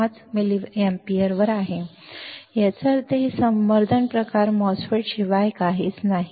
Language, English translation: Marathi, 5 milliampere; that means, this is nothing but my enhancement type MOSFET